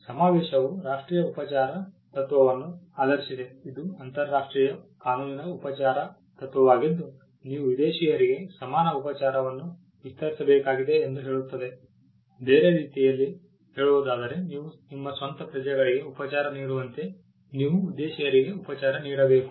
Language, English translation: Kannada, The convention was based on the national treatment principle which is a treatment principle in international law stating that you have to extend equal treatment for foreigners, in other words you would treat foreigners as you would treat your own nationals